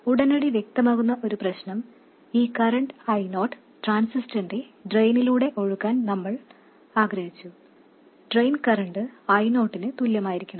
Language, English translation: Malayalam, One problem that is immediately evident is that we wanted this current I 0 to flow through the drain of the transistor